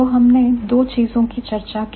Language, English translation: Hindi, So, two things